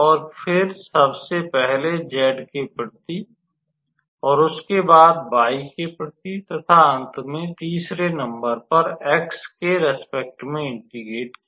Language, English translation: Hindi, And afterwards we just integrated with respect to z first, with respect to y second, and then with respect to x third